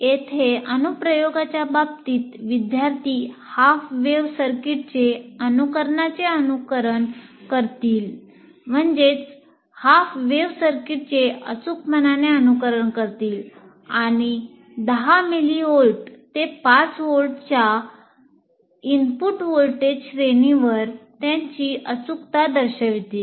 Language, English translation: Marathi, Now here in terms of application, what we are asking students will simulate a precision half wave circuit and demonstrate its precision over the input voltage range of 10 mill volts to 5 volts volts